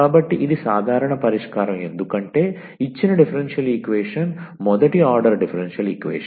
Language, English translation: Telugu, So, this is the general solution because the given differential equation was the first order differential equation